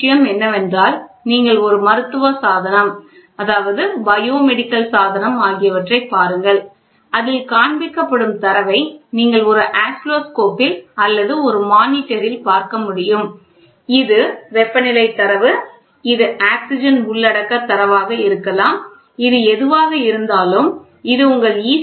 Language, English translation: Tamil, The next thing what I want you guys to look at it is please look at a medical device, biomedical device wherein which you can see in an Oscilloscope or in a monitor you see the data which is getting displayed this can be a temperature data, this can be the oxygen content data, this whatever it is this can be your ECG data, whatever it is you see look at it